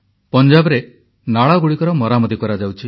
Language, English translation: Odia, The drainage lines are being fixed in Punjab